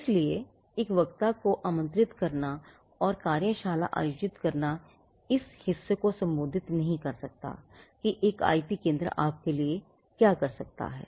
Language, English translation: Hindi, So, inviting a speaker to come and speak or conducting a workshop may not address this part of what an IP centre can do for you